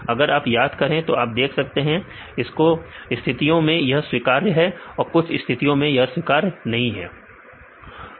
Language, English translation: Hindi, So, if you remember you can see there are some cases they are acceptable some cases it is not acceptable